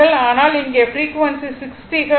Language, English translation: Tamil, So, frequency f is your 60 hertz right